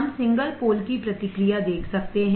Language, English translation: Hindi, we can see the response of single pole